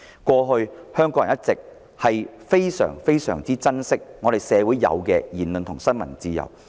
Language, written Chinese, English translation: Cantonese, 過去香港人一直非常珍惜社會上享有的言論自由和新聞自由。, Hong Kong people have all along attached great value to the freedom of speech and freedom of the press enjoyed by the community